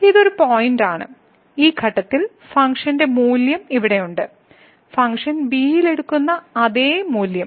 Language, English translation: Malayalam, So, this is the point at so, the function value at this point is here and the same value the function is taking at b